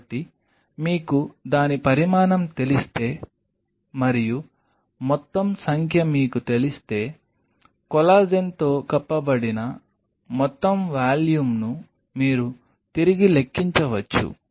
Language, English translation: Telugu, So, if you know the dimension of it and if you know the total number then you can back calculate the total volume covered by collagen